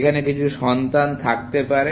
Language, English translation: Bengali, It may have some child here